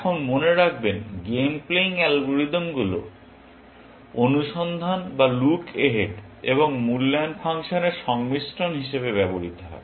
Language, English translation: Bengali, Now, remember, the game playing algorithm are used as combination of search or look ahead and evaluation function